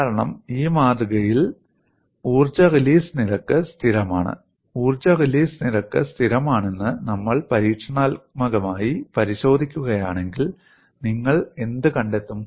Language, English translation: Malayalam, Because we have predicted for the specimen energy release rate is constant, and if we experimentally verify energy release rate is constant, then what do you find